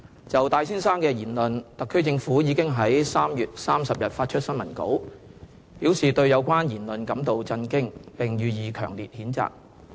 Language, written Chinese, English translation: Cantonese, 就戴先生的言論，特區政府已於3月30日發出新聞稿，表示對有關言論感到震驚，並予以強烈譴責。, In response to Mr TAIs remarks the Special Administrative Region SAR Government issued on 30 March a press release expressing its shocks and stating its strong condemnation of those remarks